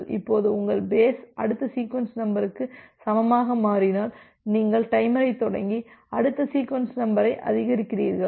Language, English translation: Tamil, Now, if your basis becomes equal to the next sequence number you start the timer and increment the next sequence number OK